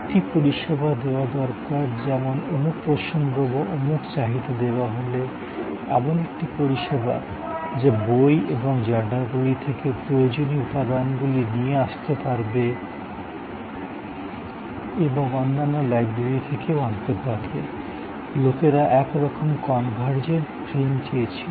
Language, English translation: Bengali, Services like given a reference, given a requirement, a service which can pull out necessary material from books and from journals and can bring material from other libraries, so some sort of convergent frame people wanted